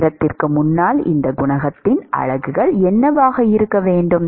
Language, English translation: Tamil, What should be the units of this coefficient in front of time